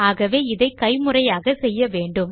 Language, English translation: Tamil, So Ill do it manually